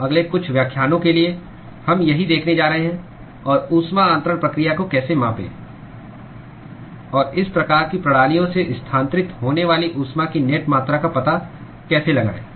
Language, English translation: Hindi, So, this is what we are going to see for the next couple of lectures, and how to quantify heat transfer process, and how to find out the net amount of heat that is transferred from these kinds of systems